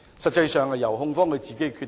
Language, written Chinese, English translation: Cantonese, 實際上應該由控方自行決定。, Practically it should be determined by the prosecution